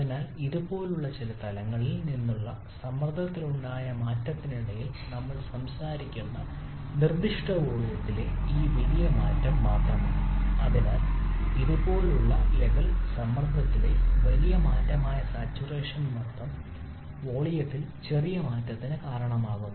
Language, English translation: Malayalam, During that change in pressure from some level like this to, so the level like this the saturation pressure that is a large change in pressure is causing only small change in volume